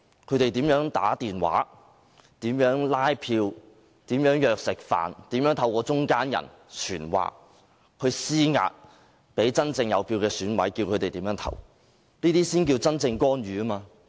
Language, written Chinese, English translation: Cantonese, 他們打電話拉票、相約飯局、透過中間人傳話等，向真正有選票的選委施壓，指示他們怎樣投票，這才是真正的干預。, They call EC members to canvass votes hold dinner parties or send messages through middlemen and so on in order to exert pressures on EC members who are the bona fide electors and instruct them how to vote . This is what we mean by real interference